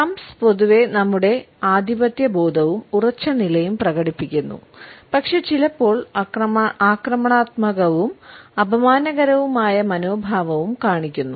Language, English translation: Malayalam, Thumbs in general display our sense of dominance and assertiveness and sometimes aggressive and insulting attitudes